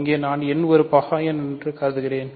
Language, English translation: Tamil, So, here I am assuming n is a prime number